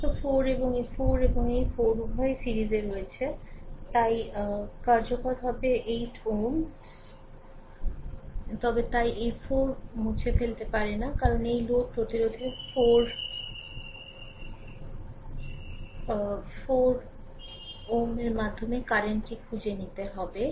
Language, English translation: Bengali, All the 4 and this 4 and this 4, both are in series, so effective will be 8 ohm, but you cannot you cannot remove this 4 ohm because you have to find out the current through this load resistance 4 ohm right